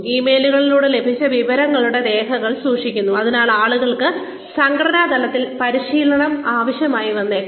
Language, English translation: Malayalam, Keeping records of the information, received through emails, so people may need training on an organizational level